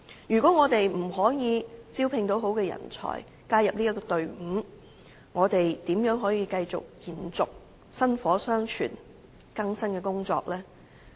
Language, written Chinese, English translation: Cantonese, 如果我們無法招聘良好人才加入隊伍，又如何繼續延續薪火相傳的更生工作呢？, How can rehabilitation work be maintained successively if we are unable to recruit the best people to join our team?